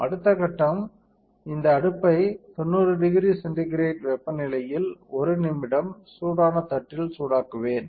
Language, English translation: Tamil, Next step is I will heat this wafer which is called soft bake at 90 degree centigrade for 1 minute on hot plate all right